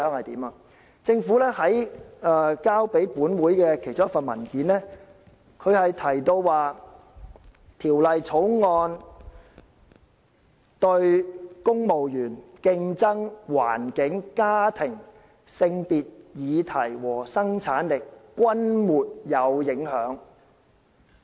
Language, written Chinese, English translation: Cantonese, 在政府提交給本會的其中一份文件中，提到《條例草案》對公務員、競爭、環境、家庭、性別議題和生產力均沒有影響。, In one of the papers provided to this Council the Government says that the Bill has no civil service competition environmental family gender or productivity implication